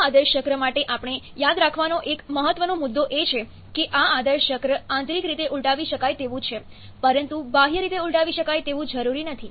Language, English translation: Gujarati, One important point that we have to remember for this ideal cycle is that these ideal cycles are internally reversible